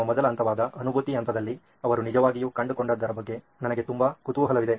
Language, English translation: Kannada, I am very curious on what they really found out in the empathize phase which is our first phase